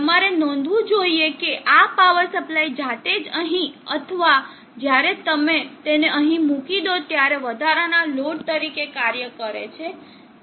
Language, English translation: Gujarati, You should note that this power supply itself acts as an additional load either here or when you put it here